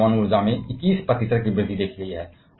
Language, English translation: Hindi, Whereas, nuclear energy has seen 21 percent increase